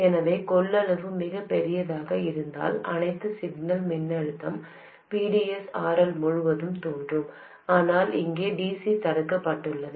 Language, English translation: Tamil, So that if the capacitance is very large, then all of the signal voltage VDS will appear across RL but the DC here is blocked